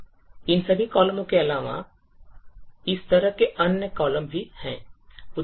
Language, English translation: Hindi, So, in addition to all of these columns, there are other columns like this